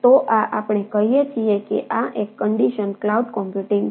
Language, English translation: Gujarati, so we will look at a mobile cloud computing